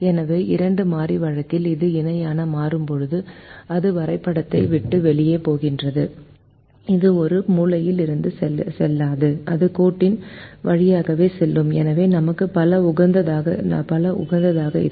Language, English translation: Tamil, so when it becomes parallel, then when it leaves the graph, then it will not go through a corner point, it will go through the line itself and therefore we will have multiple optimum